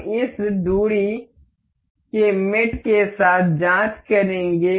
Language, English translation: Hindi, We will check with this distance mate